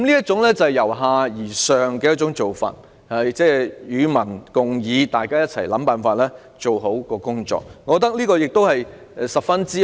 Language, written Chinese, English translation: Cantonese, 這種由下而上與民共議、共同想辦法做好工作的做法，我認為十分美好。, In my view this bottom - up approach involving discussions with people and the joint conception of possible ways to bring the work to satisfactory completion is very desirable